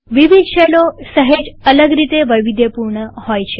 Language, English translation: Gujarati, Different shells are customized in slightly different ways